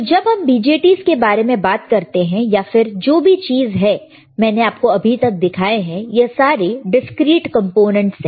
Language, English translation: Hindi, So, when we talk about BJTs these are all digital components, all the things that I have shown it to you until now are called discrete components, all right